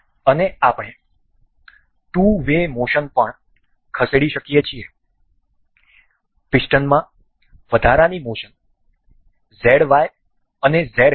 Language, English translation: Gujarati, And we can also move two way motion additional motion in the piston say Z Y and Z